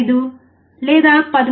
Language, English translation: Telugu, 5 or 13